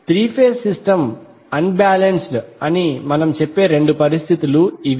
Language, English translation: Telugu, So these are the two possible conditions under which we say that the three phase system is unbalanced